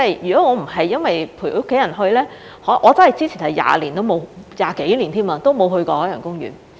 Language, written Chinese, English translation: Cantonese, 若非這次陪家人去，我之前真是20多年都沒有去過海洋公園。, I would not have gone there if it was not for keeping my family company . I really had not been to OP for more than two decades